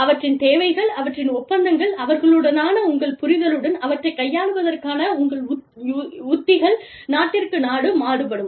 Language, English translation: Tamil, Their requirements, their contracts, your understanding with them, your strategies for dealing with them, will vary from, country to country